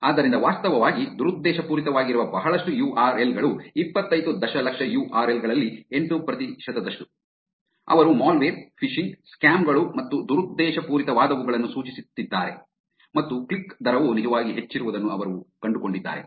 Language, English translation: Kannada, So, that is a lot of URLs which are actually malicious, 8 percent of 25 million URLs, where they are pointing to malware, phishing, scams and malicious ones and they have also found that the click rate is actually higher